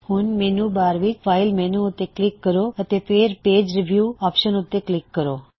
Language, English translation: Punjabi, Now click on the File menu in the menu bar and then click on the Page preview option